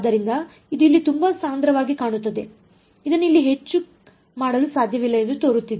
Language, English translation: Kannada, So, it looks very compact over here it looks like this not much to do over here